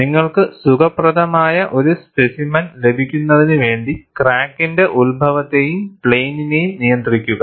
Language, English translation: Malayalam, It is to have control on the origin and the plane of the crack, for you to have a comfortable specimen